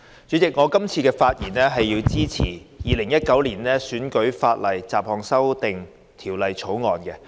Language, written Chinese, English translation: Cantonese, 主席，我發言支持《2019年選舉法例條例草案》。, President I speak in support of the Electoral Legislation Bill 2019 the Bill